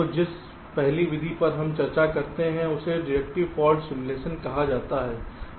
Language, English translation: Hindi, so the first method that we discussed is called deductive fault simulation